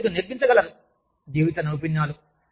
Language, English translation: Telugu, They could teach you, life skills